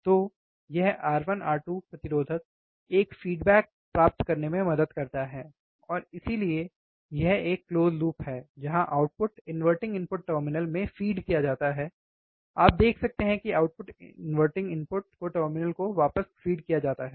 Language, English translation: Hindi, So, this R 1 R 2 resistors help to get a feedback, and that is why it is a close loop output is fed back to the inverting input terminal you can see output is fed back to the inverting input terminal, input signal is applied from inverting input terminal we have already seen the input signal is applied to the inverting input terminal, right